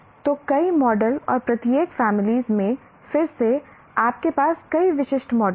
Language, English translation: Hindi, And in each family, you have several specific models